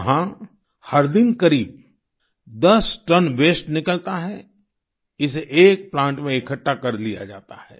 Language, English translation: Hindi, Nearly 10tonnes of waste is generated there every day, which is collected in a plant